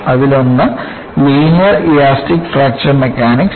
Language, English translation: Malayalam, One is Linear Elastic Fracture Mechanics